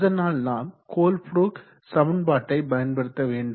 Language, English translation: Tamil, So we will use the Colebrook equation